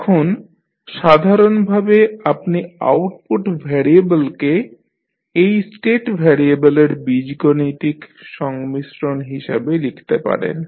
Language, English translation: Bengali, Now, in general, you will write output variable as algebraic combination of this state variable